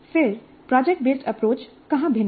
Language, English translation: Hindi, Then where does project based approach differ